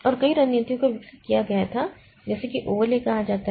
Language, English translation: Hindi, So, that particular strategy is known as the overlay